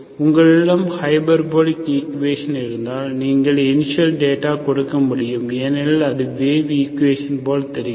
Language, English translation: Tamil, And if you have hyperbolic equation, you have to give initial data because it looks like wave equation